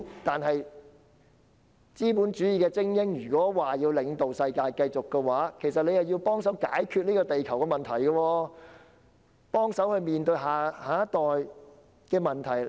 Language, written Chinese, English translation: Cantonese, 如果資本主義的精英要領導世界繼續發展，便必須幫忙解決地球和下一代面對的問題。, If capitalist elites are to lead the continuous development of the world they must help resolve the problems faced by the world and our next generation